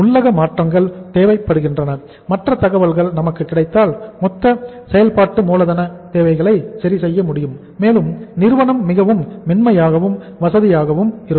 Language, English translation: Tamil, Internal adjustments are required and if other information is available with us then the total working capital investment requirements can be worked out and the firm can be more smooth, more comfortable